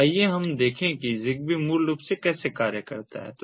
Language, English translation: Hindi, so let us look at how zigbee basically functions